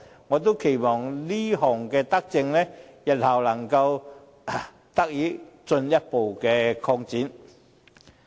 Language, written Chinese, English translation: Cantonese, 我期望這項德政日後能得以進一步擴展。, I expect this benevolent measure to be further extended in the future